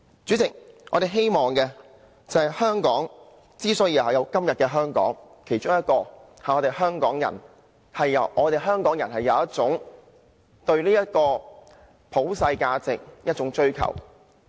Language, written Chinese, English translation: Cantonese, 主席，香港之所以有今天，其中一點是香港人有一種對普世價值的追求。, President Hong Kongs achievement is attributed to many things and one of them is Hong Kong peoples pursuit in universal values